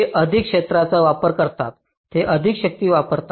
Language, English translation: Marathi, they consume more area, they will consume more power